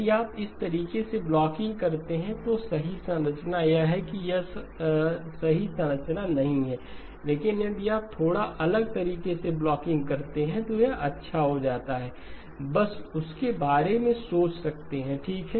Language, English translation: Hindi, If you do blocking in this fashion, the correct structure is this one, this is not the right structure, but if you do blocking in a slightly different way, this turns out to be a good one may be just think about that okay